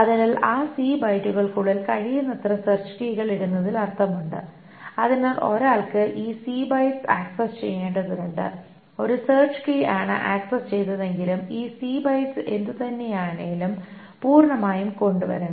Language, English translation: Malayalam, So then it makes sense to put in as many search keys as possible within those C bytes because this, so one has to access this C bytes, one has to bring all the C bytes anyway, even if one search key is accessed